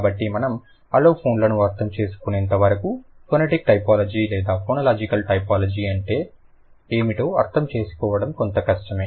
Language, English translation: Telugu, So, until we understand aliphones it will be tricky for us to understand what is phonetic typology or phonological typology